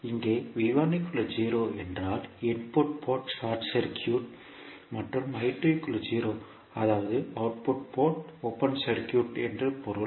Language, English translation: Tamil, That means you set the output port short circuit or I1 is equal to 0 that is input port open circuit